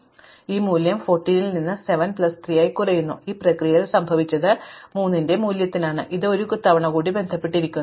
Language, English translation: Malayalam, So, now this value comes down from 14 to 7 plus 3, but in this process what has happened is in the value of 3 has itself gone down one more time